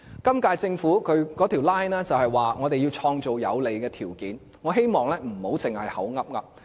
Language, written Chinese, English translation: Cantonese, 今屆政府的 line 是要創造有利的條件，我希望不要只是隨口說。, The line adopted by the current - term Government is that they will create favourable conditions for the reform and I hope that they are not saying it casually